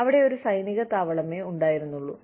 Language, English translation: Malayalam, There was just an army base, there